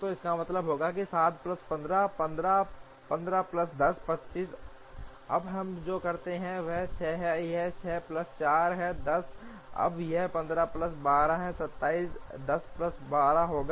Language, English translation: Hindi, So, this would mean 7 plus 8, 15, 15 plus 10, 25, now what we do is this is 6, this is 6 plus 4, 10